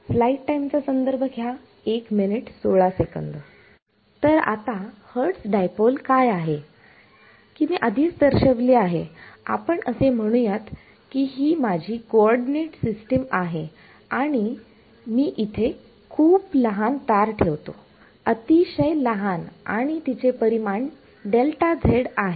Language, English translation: Marathi, So, now what is Hertz dipole, as I’ve already indicated let us say this is my coordinate system and I put one tiny is a wire over here very tiny and of dimension delta z